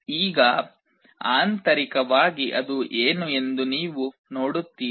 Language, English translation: Kannada, Now, internally you see what it is there